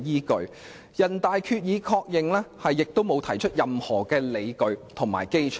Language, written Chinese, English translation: Cantonese, 再者，人大常委會的《決定》亦沒有提出任何理據和基礎。, Worse still the Decision of NPCSC has not provided any rationale or basis